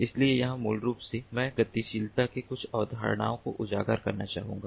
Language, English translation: Hindi, so here, basically, i would like to highlight some of the concepts of mobility